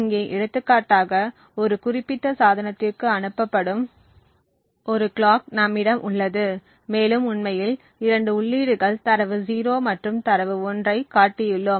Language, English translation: Tamil, So for example over here we have a clock which is sent to a particular device and we have actually showing two inputs data 0 and data 1